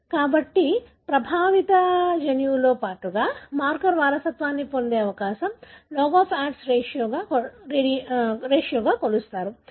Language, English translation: Telugu, So, the likelihood that a marker will be inherited together with the affected gene is measured as a log of odds ratio